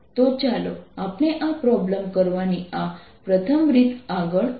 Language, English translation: Gujarati, so let us proceed in this first way of doing this problem